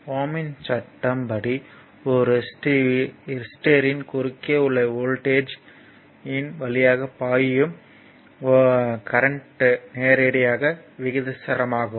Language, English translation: Tamil, So, actually Ohm’s law states, the voltage v across a resistor is directly proportional to the current i flowing through the resistor